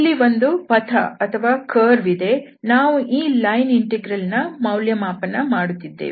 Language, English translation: Kannada, So, there is some path here, where we are evaluating this line integral